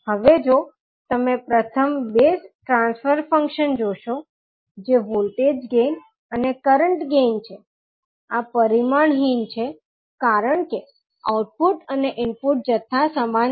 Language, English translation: Gujarati, Now if you see the first two transfer function, that is voltage gain and the current gain, these are dimensionless because the output an input quantities are the same